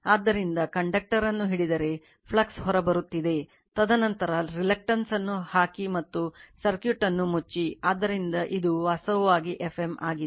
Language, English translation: Kannada, So, if you grab the conductor, the flux is coming out, and then you put the reluctance and close the circuit, and this is your what you call the direction of the phi